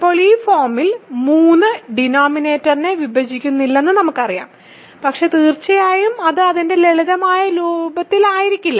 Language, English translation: Malayalam, Now, I know that in this form 3 does not divide the denominator, but of course, it is possible that it is not in its simplest form